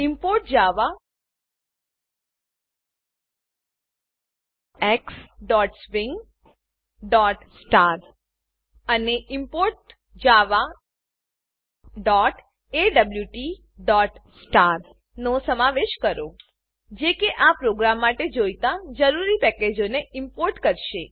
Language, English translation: Gujarati, Include: import javax.swing.* and import java.awt.* This will import the necessary packages required for this program